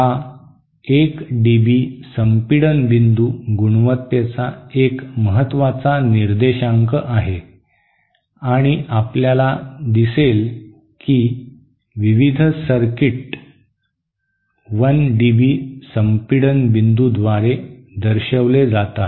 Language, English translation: Marathi, This 1 dB compression point is a very important figure of merit and you will see various circuits are characterized by 1 dB compression point